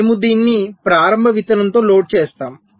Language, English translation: Telugu, so we load it with the initial seed like this